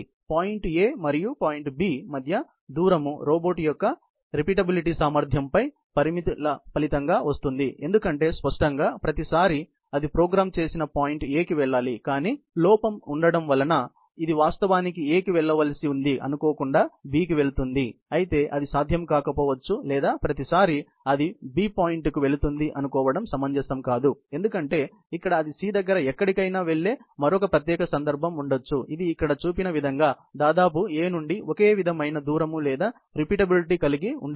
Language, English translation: Telugu, The distance between point A and point B is a result of limitations on the robot’s repeatability, because obviously, every time it is going to the programmed point A; there is an error, which it has in going to A and it actually, accidentally, goes to B; however, it may not be possible or it may not be reasonable to assume that every time, it will be go to point B, because there can be another instance, where it can go to somewhere, around C, which at more or less, similar distance or similar sort of repeatability from A as shown here